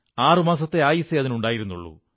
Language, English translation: Malayalam, It had a life expectancy of 6 months